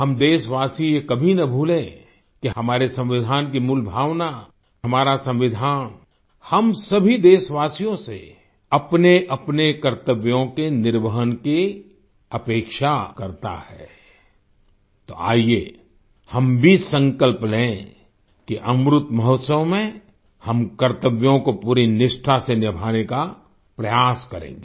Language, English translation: Hindi, We the countrymen should never forget the basic spirit of our Constitution, that our Constitution expects all of us to discharge our duties so let us also take a pledge that in the Amrit Mahotsav, we will try to fulfill our duties with full devotion